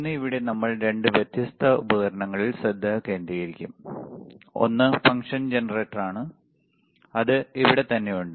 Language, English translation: Malayalam, And here today we will concentrate on two different equipments: one is function generator which is right over here